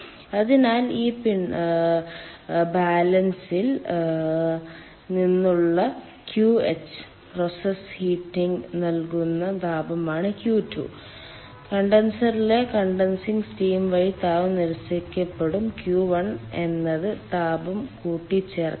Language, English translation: Malayalam, so this is the ah from the mass balance: qh will be heat given for the process heating, q two will be heat rejected by the ah condensing steam in the condenser and q one is the heat addition